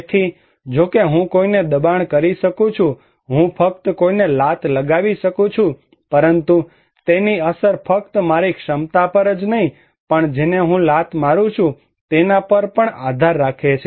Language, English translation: Gujarati, So, even though I can force someone, I can just kick someone, but it impact depends not only on my capacity but also whom I am kicking